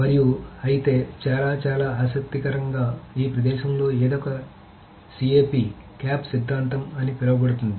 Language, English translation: Telugu, And however, very, very interestingly, there is something in this space which is called a CAP theorem